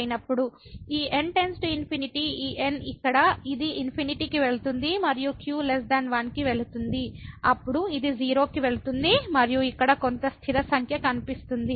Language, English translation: Telugu, So, this goes to infinity this here it goes to infinity and is less than 1 then this goes to 0 and here some fixed number is appearing